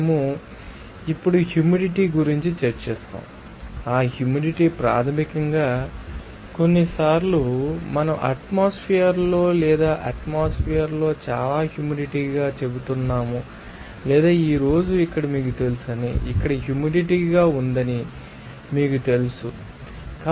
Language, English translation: Telugu, We will discuss the humidity now, what is that humidity basically that sometimes we are saying in an atmosphere that how I you know it is you know that atmosphere or weather is very humid or you can say that today's you know that today's high here, you know, humid here